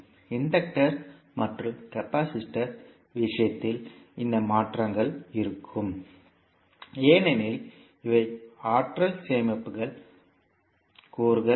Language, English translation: Tamil, These changes would be there in case of inductor and capacitor because these are the energy storage elements